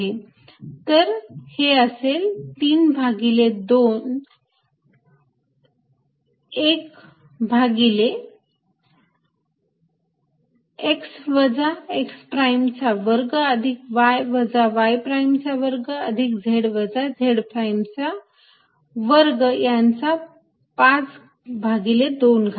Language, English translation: Marathi, q z minus z prime over x minus x prime square plus y minus y prime square plus z minus z prime square is two, three by two